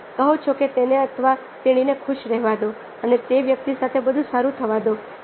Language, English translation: Gujarati, you say that let be happy, let be happy, everything good happened to that person